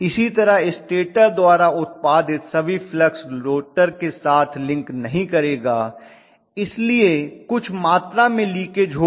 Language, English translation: Hindi, Similarly, all the flux produced by the stator will not link with the rotor, so I am going to have some amount of leakage